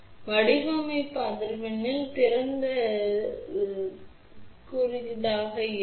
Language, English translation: Tamil, So, at the design frequency open will become short and then it will become open